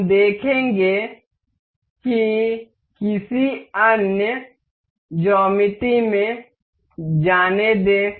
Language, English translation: Hindi, We will see that let in some other geometry